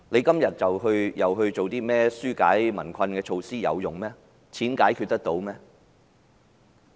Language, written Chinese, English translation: Cantonese, 今天政府再提出一些紓解民困措施，有作用嗎？, Today the Government has proposed some measures to relieve peoples hardship but will they be effective?